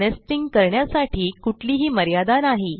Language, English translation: Marathi, There is no limit to the amount of nesting